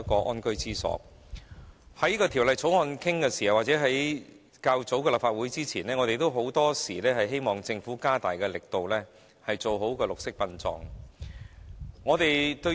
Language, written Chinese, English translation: Cantonese, 無論在討論這項《條例草案》時或較早前的立法會會議上，我們均曾表示，希望政府可以加大力度做好綠色殯葬。, During the scrutiny of the Bill and at the previous Council meetings we have asked the Government to promote more vigorously green burial